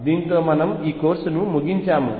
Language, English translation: Telugu, With that we end this course